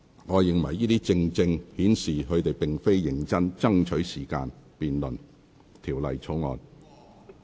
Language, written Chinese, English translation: Cantonese, 我認為這正正顯示他們並非認真爭取時間辯論《條例草案》。, In view of such behaviour I do not think they really want to strive for more time to debate the Bill